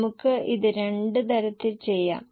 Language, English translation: Malayalam, We could do it in two ways